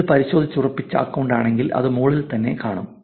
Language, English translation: Malayalam, If it is a verified account, it should show up on top